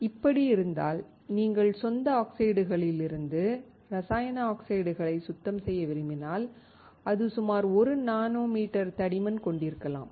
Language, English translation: Tamil, If this is the case, if you want to clean the chemical oxides from the native oxides we can have thickness of about 1 nanometer